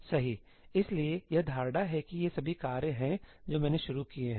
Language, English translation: Hindi, So, it has the notion of that these are all the tasks that I have launched